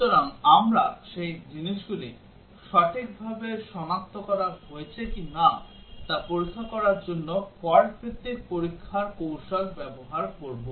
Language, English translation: Bengali, So, we will use fault based testing techniques to check whether those things have been properly detected